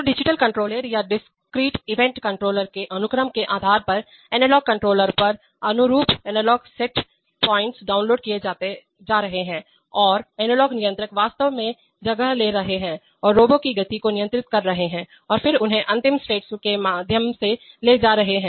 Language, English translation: Hindi, So based on the sequence of the digital controller or the discrete event controller, corresponding analog set points are being downloaded on the analog controllers and the analog controllers are actually taking place and controlling the motion of the robo, and then taking them through the final states